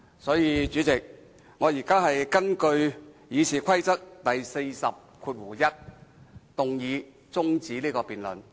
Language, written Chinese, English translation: Cantonese, 所以，主席，我現在根據《議事規則》第401條動議中止辯論。, In light of this President I now move a motion under Rule 401 of the Rules of Procedure that the debate be now adjourned